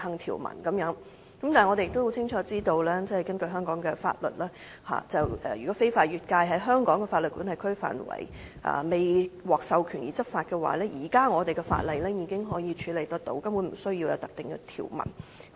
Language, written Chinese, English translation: Cantonese, 我們亦很清楚知道，如果有人員非法越界，在香港司法管轄區範圍未獲授權執法，現時本港的法例已經處理得到，根本不需要另訂條文。, We all know clearly that officers who cross the border illegally and take unauthorized enforcement actions within the jurisdiction of Hong Kong are subject to the laws of Hong Kong . There is no need to made an additional provision